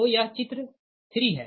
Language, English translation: Hindi, so this is the figure three